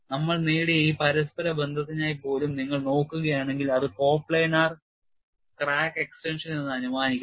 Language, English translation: Malayalam, And if you look at even for this interrelationship which we have obtained, it assumes coplanar crack extension